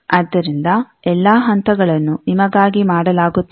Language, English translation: Kannada, So, all the steps are done for you